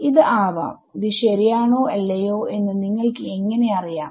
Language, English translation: Malayalam, It might be how do you know it is correct or not